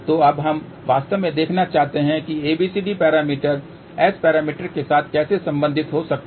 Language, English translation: Hindi, So, now, we want to actually see how abcd parameters can be related with S parameters